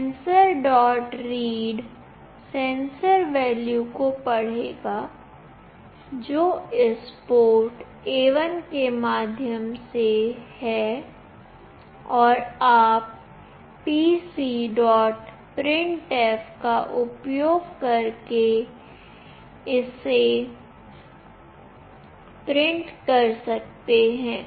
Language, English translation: Hindi, read will read the value, which is through this port A1 and you can print it using pc